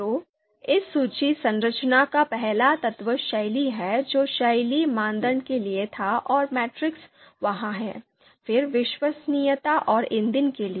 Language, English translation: Hindi, So the in the first element of this list structure is style that was the style you know you know for the style criteria and the matrix is there, then for reliability and fuel